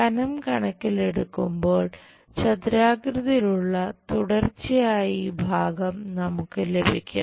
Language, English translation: Malayalam, In terms of thickness, we will have this continuous rectangular portion